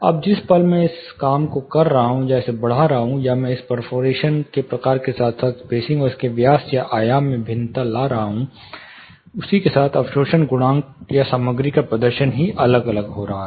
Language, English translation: Hindi, Now moment I am adjusting you know decreasing it increasing it, or I am varying this perforation type as well as in a spacing and the diameter or dimension surface, then the absorption coefficient or the performance of the material itself is going to vary